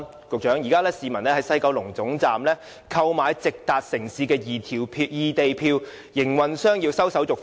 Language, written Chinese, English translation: Cantonese, 局長，現時市民在西九龍站購買直達內地不同城市的異地票，營運商要收手續費。, Secretary at present when we buy tickets at the West Kowloon Station to travel directly to various cities in the Mainland a service charge will be levied